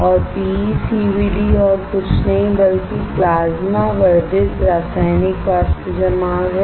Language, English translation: Hindi, PECVD is nothing but Plasma Enhanced Chemical Vapor Deposition